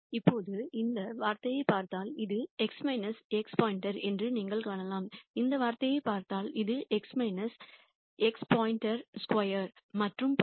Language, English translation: Tamil, Now, you could see that if you look at this term this is x minus x star if you look at this term this is x minus x star square and so on